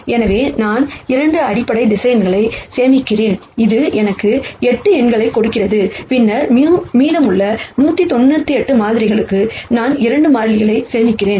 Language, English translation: Tamil, So, I store 2 basis vectors which gives me 8 numbers and then for the remaining 198 samples, I simply store 2 constants